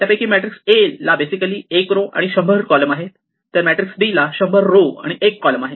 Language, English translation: Marathi, A is basically got 1 by 100, A just has 1 row and 100 columns and B has a 100 rows and 1 column